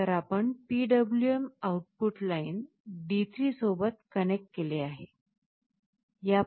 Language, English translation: Marathi, So, that we have connected to the PWM output line D3